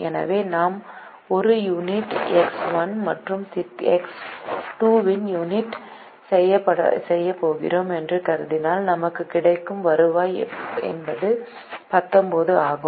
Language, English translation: Tamil, so if we assume that we are going to make one unit of x one and one unit of x two, the revenue that we will get is nineteen